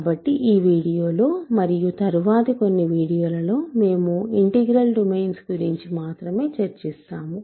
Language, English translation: Telugu, So, in today’s video and in next few videos, we will work with only integral domains ok